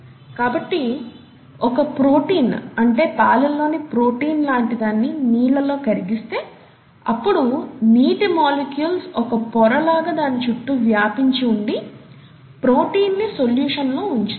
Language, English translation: Telugu, So if a protein is dissolved in water as in the case of a protein in milk, then there is a layer of water molecules that surround the protein and keep the protein in solution, right